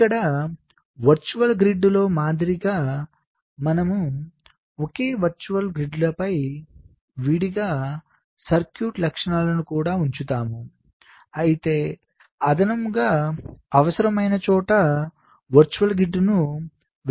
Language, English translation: Telugu, so here, like in the virtual grid, we also place distinct circuit features on the same virtual grids separately